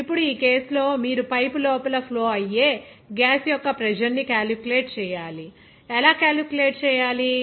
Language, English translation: Telugu, Now, in this case, you have to calculate the pressure of the flowing gas inside the pipe, how to calculate